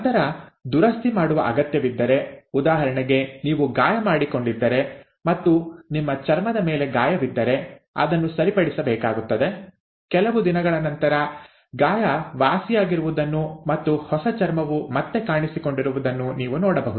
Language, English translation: Kannada, Then, we also find that if there is a need for repair, for example, if you have injured yourself and there is a wound on your skin that needs to be repaired, what you find is after a few days, the wound gets repaired and a fresh skin reappears